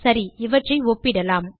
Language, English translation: Tamil, okay so lets compare these